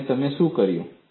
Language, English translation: Gujarati, And what you have done